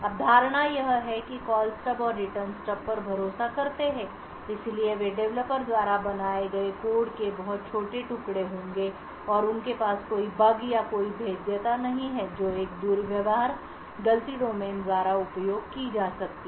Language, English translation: Hindi, Call Stub and the Return Stubs are trusted, so they would be extremely small pieces of code built by the developer itself and have no bugs or any vulnerabilities which could be utilized by a misbehaving fault domain